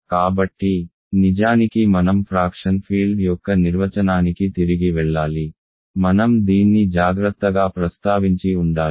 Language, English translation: Telugu, So, actually I should go back to the definition of a fraction field, I should have mentioned this carefully